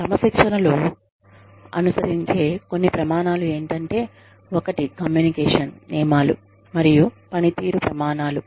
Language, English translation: Telugu, Some standards, that are followed in discipline are, one is communication of rules and performance criteria